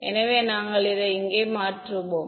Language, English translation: Tamil, So, we will just substitute over here